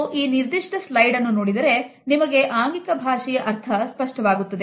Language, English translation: Kannada, If we look at this particular slide, we would find that the meaning of body language becomes clear to us